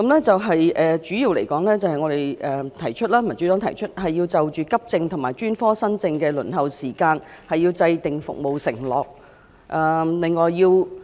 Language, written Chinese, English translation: Cantonese, 主要來說，民主黨提議要就急症和專科新症的輪候時間制訂服務承諾。, In gist the Democratic Party proposes that a performance pledge on the waiting time for accident and emergency cases and new cases for specialist services should be drawn up